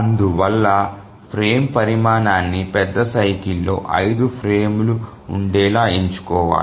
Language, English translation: Telugu, So the frame size must be chosen such that there must be five frames within the major cycle